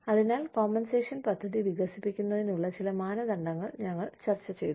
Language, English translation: Malayalam, So, we discussed, some criteria for developing, a plan of compensation